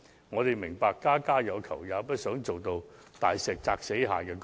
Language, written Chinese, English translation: Cantonese, 我們明白家家有求，也不希望大石壓死蟹的局面。, We understand that Members have different calls to make and have no intention to steamroller anyone